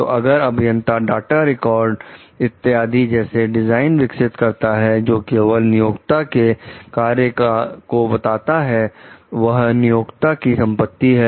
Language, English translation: Hindi, The engineers if develops any design data records etc which are referring to exclusively to an employers work are the employers property